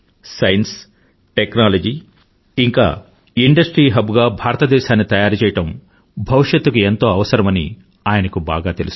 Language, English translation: Telugu, He knew very well that making India a hub of science, technology and industry was imperative for her future